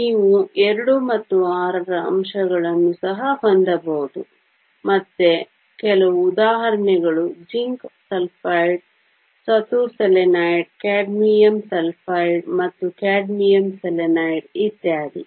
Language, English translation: Kannada, You can also have elements from 2 and 6 again some examples are zinc sulfide, zinc selenide, cadmium sulfide and cadmium selenide and so on